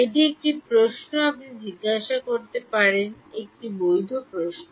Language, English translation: Bengali, That one question you can ask, a legitimate question